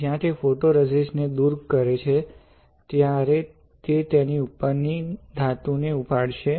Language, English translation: Gujarati, When it strips the photoresist, it will lift off the metal above it